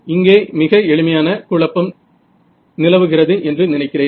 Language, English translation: Tamil, No, I think these are very simple sort of confusion over here